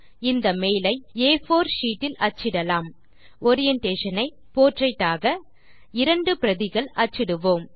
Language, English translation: Tamil, We shall print this mail on an A4 sheet, with Orientation as Portrait and make two copies of this mail